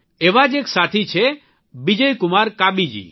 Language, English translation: Gujarati, Just as… a friend Bijay Kumar Kabiji